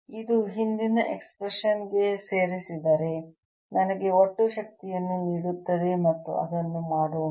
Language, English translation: Kannada, this add it to the previous expression will give me the total energy, and let us do that